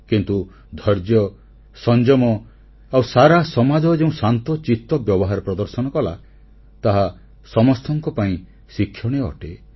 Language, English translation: Odia, Their patience, their restraint, in fact the calm composure exercised by the entire society is commendable & worth following